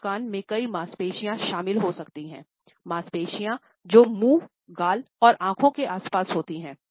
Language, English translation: Hindi, A smile may involve several muscles, muscles which are around the mouth, muscles on our cheeks, and muscles around our eyes also